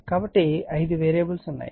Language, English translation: Telugu, So, there are five variables right